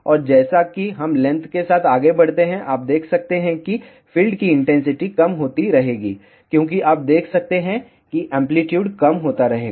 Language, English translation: Hindi, And, as we move along the length, you can see that the field intensity will keep reducing as you can see the amplitude will keep on reducing